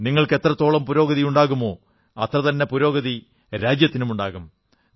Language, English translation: Malayalam, The more you progress, the more will the country progress